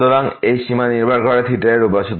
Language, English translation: Bengali, So, this limit depends on theta